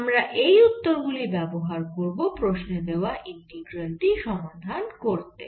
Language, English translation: Bengali, so we will use this answer to calculate this integral